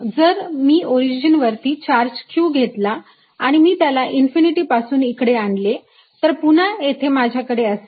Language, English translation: Marathi, also, if i have a charge q at the origin and i am moving, bringing a charge from infinity again, i'll have